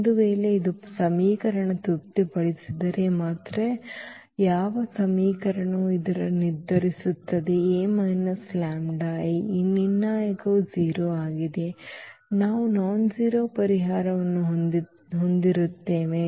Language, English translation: Kannada, If and only if this satisfy the equation, which equation that the determinant of this A minus lambda I; if this determinant is 0 then we will have a non trivial solution